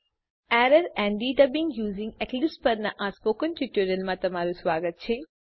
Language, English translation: Gujarati, Welcome to the tutorial on Errors and Debugging using Eclipse